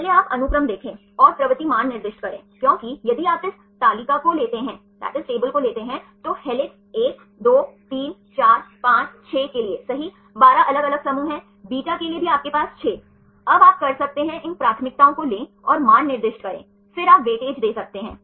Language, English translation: Hindi, First you see the sequence and assign the propensity values, because if you take this table, there are 12 different groups for the helix 1, 2, 3, 4, 5, 6 right, for the beta also you have 6